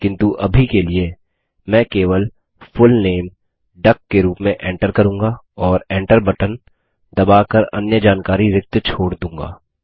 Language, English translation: Hindi, But for the time being, I will enter only the Full Name as duck and leave the rest of the details blank by pressing the Enter key